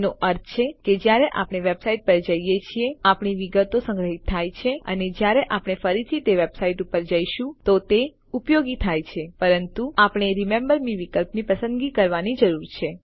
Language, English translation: Gujarati, This means, that when we go to a website, our details are stored and are used when we visit it again, provided we select an option like Remember me